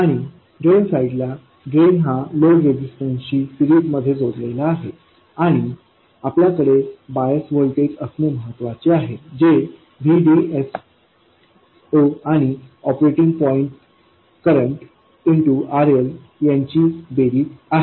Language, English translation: Marathi, And on the drain side we have the load resistance in series with the drain and we have to have a bias voltage which is VDS 0 plus the operating point current times RL